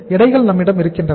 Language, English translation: Tamil, Weights are available with us